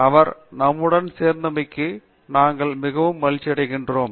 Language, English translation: Tamil, So, we are really glad that she could join us